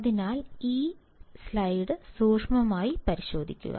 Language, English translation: Malayalam, So, take a closer look at this slide